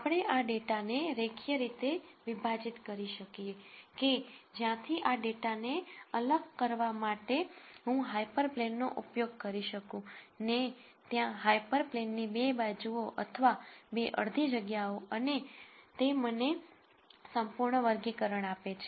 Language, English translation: Gujarati, We call this data as linearly separable where I could use hyper plane to separate this data into 2 sides of the hyper plane or 2 half spaces and that gives me perfect classification